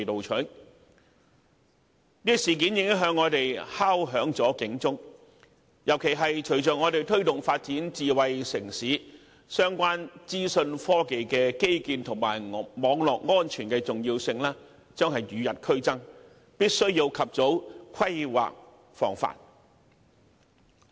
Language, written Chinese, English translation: Cantonese, 此事件已向我們敲響了警鐘，尤其隨着我們推動發展智慧城市，相關資訊科技基建及網絡安全的重要性將與日俱增，必須及早規劃防範。, The incident is a warning that we must plan for the maintenance of cybersecurity as IT infrastructure and cybersecurity are becoming more important today with our drive to transform Hong Kong into a smart city